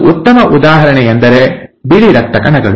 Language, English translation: Kannada, And one good example is the white blood cells